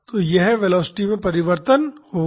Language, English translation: Hindi, So, that would be the change in the velocity